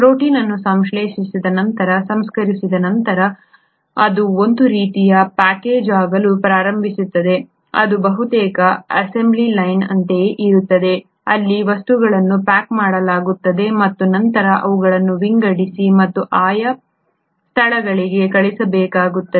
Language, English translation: Kannada, Once the protein has been synthesised, processed, it kind of starts getting packaged, it is almost like an assembly line where things kind of get packaged and then they need to be sorted and sent to the respective destinations